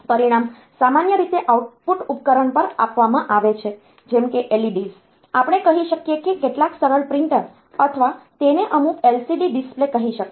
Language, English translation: Gujarati, So, that result is given in the normally we have got output device like say LEDs, we can have say some simple printer or it can be say a some LCD display